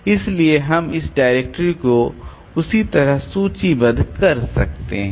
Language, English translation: Hindi, So, we can have this directory listing like that